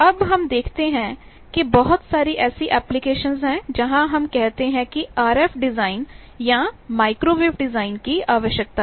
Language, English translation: Hindi, Now, we see that there are lot of applications where these RF design or microwave design, we say is needed